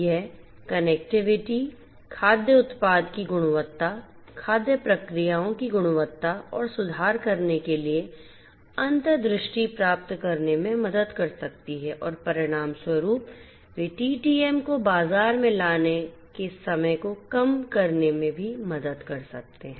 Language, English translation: Hindi, This connectivity can help in gaining insights to improve the quality of the product food product, the quality of the food processes and so on and consequently they can also help in the reduction of the time to market TTM